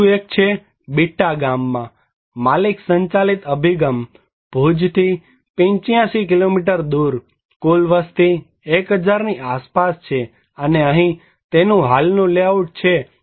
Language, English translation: Gujarati, Another one is the owner driven approach in Bitta village, 85 kilometer from the Bhuj, total population is around 1000 and here it was the existing layout